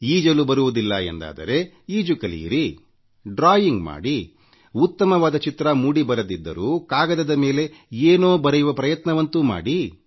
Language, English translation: Kannada, If you don't know how to swim, then learn swimming, try doing some drawing, even if you do not end up making the best drawing, try to practice putting hand to the paper